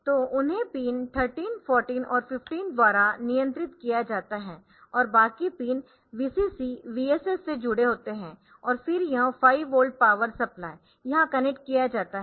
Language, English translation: Hindi, So, they are controlled by pin 13, 14 and 15 and rest of the pins are connected to VCC, VSS and then this 5 volt power supply connected here